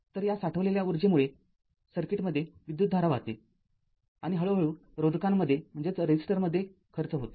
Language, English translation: Marathi, So, this stored energy causes the current to flow in the circuit and gradually dissipated in the resistor